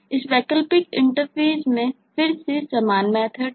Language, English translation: Hindi, in this alternate interface, again, the methods are the same